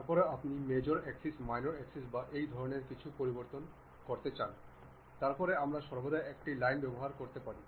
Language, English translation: Bengali, Then, you want to adjust the major axis, minor axis these kind of thing, then we can always we can always use a Line